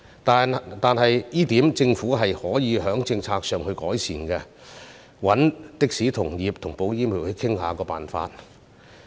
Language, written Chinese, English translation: Cantonese, 但就這一點來說，政府可以在政策上作出改善，並應與的士同業和保險業界商討方法。, On this point however the Government can make policy improvements and should discuss with the taxi industry and insurance sector to find the way out